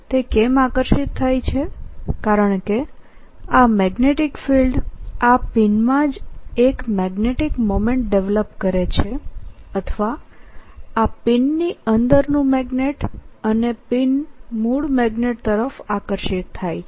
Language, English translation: Gujarati, why it gets attracted is because this magnetic field develops a magnetic moment or a magnet in this pin itself and the pin gets attracted towards the original magnet